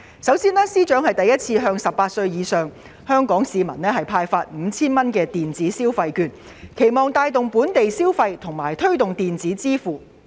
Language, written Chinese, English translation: Cantonese, 首先，司長首次向18歲或以上的香港市民派發每人 5,000 元的電子消費券，期望藉此帶動本地消費和推動電子支付。, Firstly FS will for the first time issue electronic consumption vouchers with a total value of 5,000 to each Hong Kong citizen aged 18 or above so as to boost local consumption and promote e - payment